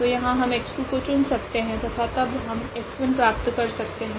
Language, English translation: Hindi, So, here the x 2 we can choose and then we can get the x 1